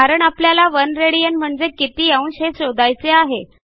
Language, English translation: Marathi, What is the value of 1 rad in degrees